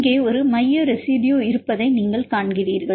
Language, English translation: Tamil, Right, you can see the central residue